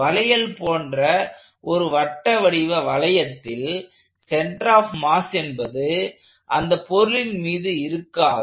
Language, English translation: Tamil, So, if I have a hoop of a circular hoop like a bangle, the center of mass of this hoop is not in the mass of the body itself